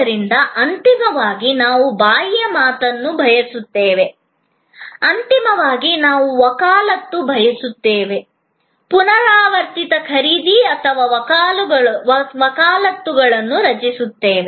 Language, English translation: Kannada, Because, ultimately we want the word of mouth, ultimately we want advocacy, we want repeat purchase and creating advocacy